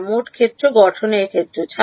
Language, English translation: Bengali, Yeah in the total field formulation